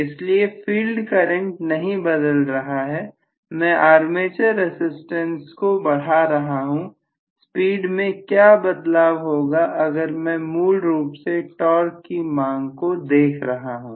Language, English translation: Hindi, So field current is not changing I am including the increase in the armature resistance, what is going to happen to the speed provided I am looking at basically the torque demand